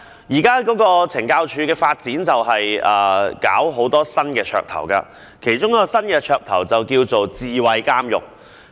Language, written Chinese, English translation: Cantonese, 現時懲教署的發展有很多新噱頭，其中一項叫智慧監獄。, Now there are many new gimmicks in the development of CSD . One of them is called smart prison . The word smart is added to a lot of things